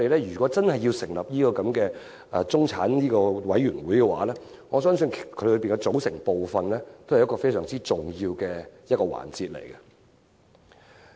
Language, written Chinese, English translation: Cantonese, 如果我們真要成立中產事務委員會，我相信當中的組成部分是很重要的環節。, If we are really going to establish a middle class commission I believe the membership will be a major issue to deal with